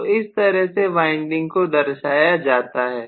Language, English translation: Hindi, So this is how the windings are represented